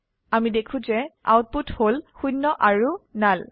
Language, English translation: Assamese, We see the output zero and null